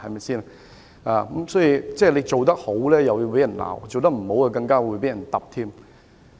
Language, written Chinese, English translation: Cantonese, 總之，他做得好要捱罵，做得不好更會被嚴厲指責。, In short people will blame him even though he has done a good job and harshly criticize him if he has not done well